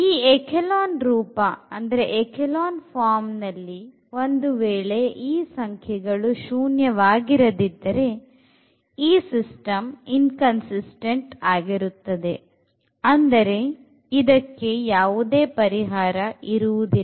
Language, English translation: Kannada, So, if in our echelon form we got these as nonzero number, then the system is inconsistent and meaning that the system has no solution